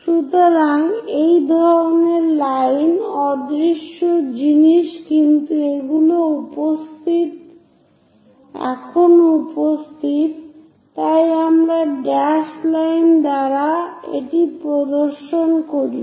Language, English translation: Bengali, So, such kind of lines invisible things, but still present we show it by dashed lines